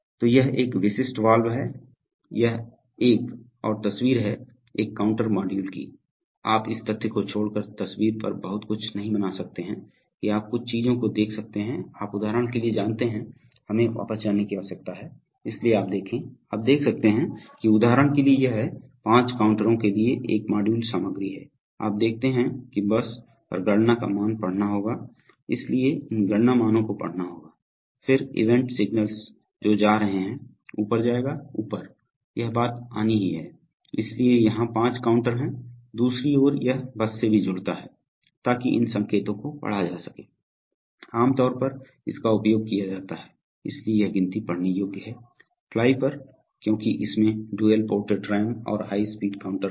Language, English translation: Hindi, So this is a typical valve, this is another picture a counter module, you cannot make out much on the picture except for the fact that you can see certain things, you know like for example, oops we need to go back, so you see, you can see that for example this is the, this module content for thing five counters, so you see the count value has to be read on the bus, so these have count values have to be read then event signals that is go, up, up, up, this thing has to come, so there are probably five counters here, on the other hand it also connects to the bus, so that these signals can be read, generally used for, so this, so the count is readable on the fly because it contains dual ported RAM and high speed count